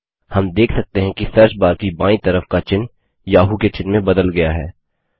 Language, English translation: Hindi, We observe that the logo on the left of the search bar has now changed to the Yahoo logo